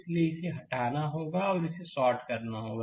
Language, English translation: Hindi, So, this has to be removed and this has to be shorted